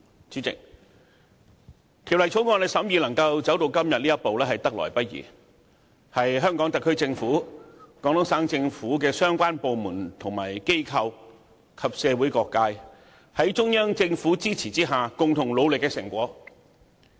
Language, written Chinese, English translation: Cantonese, 主席，《條例草案》審議能夠走到今天這一步，實在得來不易，是香港特區政府、廣東省政府相關部門和機構及社會各界，在中央政府支持下共同努力的成果。, Chairman it is indeed a hard - won accomplishment for the consideration of the Bill to come to this step today an accomplishment made possible by the joint effort of the Government of the Hong Kong Special Administrative Region HKSAR the relevant authorities and organizations of the Guangdong Provincial Government and all sectors of the community under the support of the Central Government